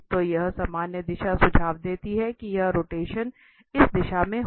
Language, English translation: Hindi, So, this normal direction suggests that this rotation will be in this direction